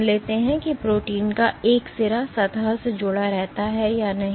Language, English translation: Hindi, Let us assume if one end of the protein remains attached to the surface